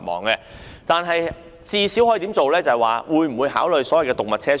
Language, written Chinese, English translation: Cantonese, 不過，當局最少可否考慮設置動物車廂？, Nevertheless can the authorities at least consider introducing animal compartments in trains?